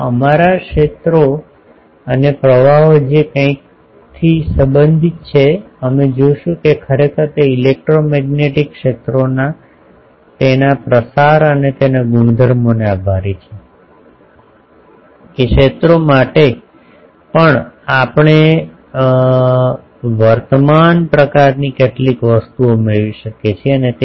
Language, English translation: Gujarati, Now our fields and currents related by something we will see that actually they are related thanks to electromagnetic fields their propagation and their properties that we can have some current type of things even for fields